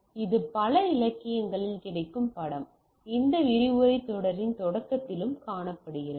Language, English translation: Tamil, Now, the picture which is available in several literature also we are seen in at the beginning of this lecture series